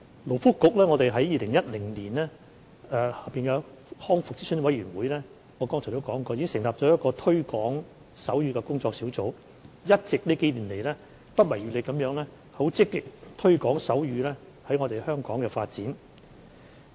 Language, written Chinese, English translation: Cantonese, 勞工及福利局於2010年在康復諮詢委員會下——我剛才已提及——成立了一個推廣手語工作小組，近數年來一直不遺餘力地積極推廣手語在香港的發展。, As I mentioned a while ago the Labour and Welfare Bureau set up the Working Group on Promoting Sign Language under the Rehabilitation Advisory Committee RAC in 2010 . Over the past few years the working group has been making strenuous and active efforts to promote sign language development in Hong Kong